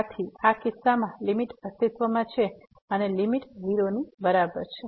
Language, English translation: Gujarati, Therefore, in this case the limit exists and the limit is equal to